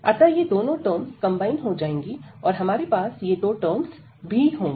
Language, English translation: Hindi, So, these two terms will be combined, and then we will have these two terms as well